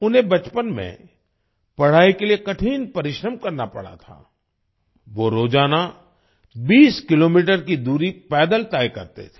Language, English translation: Hindi, In his childhood he had to work hard to study, he used to cover a distance of 20 kilometers on foot every day